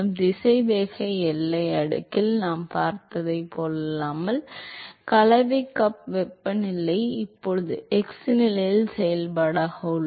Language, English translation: Tamil, Unlike what we saw in the velocity boundary layer, the mixing cup temperature is now a function of the x position